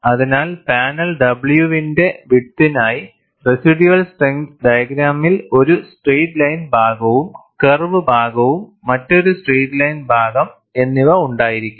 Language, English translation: Malayalam, So, for a width of panel W, the residual strength diagram would be a straight line portion, a curved portion and another straight line portion